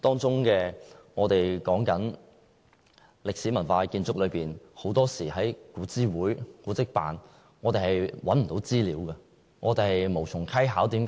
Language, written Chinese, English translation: Cantonese, 說到歷史文化建築，很多時，我們在古諮會或古蹟辦是找不到資料的。, It is often enough that AMO and AAB cannot provide the necessary information about some historic and cultural buildings